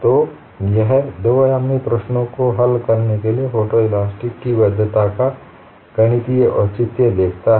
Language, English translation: Hindi, So, this gives the mathematical justification of validity of photoelasticity for solving two dimensional problems